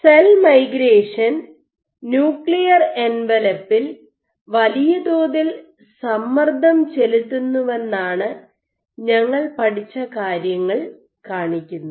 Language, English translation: Malayalam, So, together what we study show that cell migration incurs substantial physical stress on the nuclear envelope and